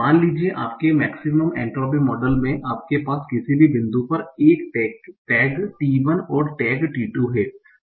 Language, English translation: Hindi, Suppose in your max monetary model you are having a tag T1 and T t2 at any given point